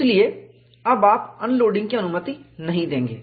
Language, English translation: Hindi, So, now, you do not permit unloading